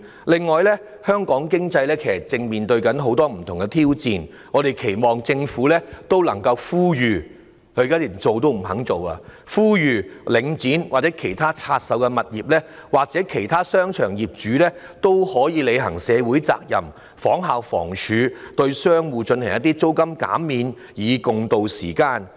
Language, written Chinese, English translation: Cantonese, 此外，香港經濟正面對很多不同的挑戰，我們期望政府能夠呼籲——但政府完全不願做——領展、其拆售的物業業主，又或其他商場業主可以履行社會責任，仿效房署向商戶提供租金減免，共渡時艱。, Besides Hong Kong economy is running into many different challenges . We expect the Government to appeal to―but the Government is absolutely unwilling to do so―Link REIT owner of its divested properties or other owners of shopping malls to fulfil their social responsibilities and provide shop tenants with rental concessions like HD tiding over the difficult times together